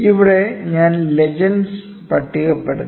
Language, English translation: Malayalam, So, here I have listed the legends